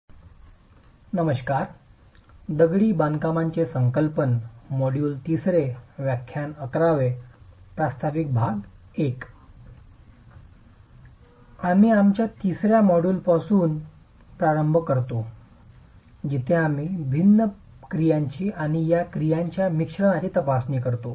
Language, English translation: Marathi, Okay, we start with our third module where we examine different actions and a combination of these actions